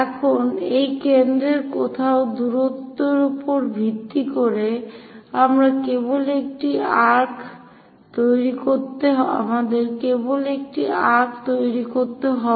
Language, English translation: Bengali, Now, based on this centre somewhere distance we just make an arc we have to bisect it